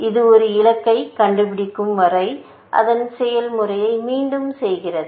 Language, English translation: Tamil, It repeats its process till it finds a goal